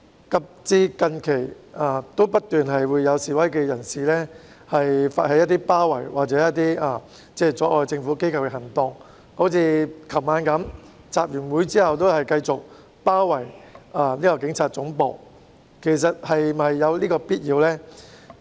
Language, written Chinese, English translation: Cantonese, 及至最近，仍然不斷有示威人士發起包圍或阻礙政府機構的行動，例如昨晚示威者集會後繼續包圍警察總部，其實是否有此必要呢？, Up till recently protesters still persist in initiating actions to besiege or obstruct government agencies . For instance protesters went on to besiege the Police Headquarters after an assembly last night . Is it necessary actually?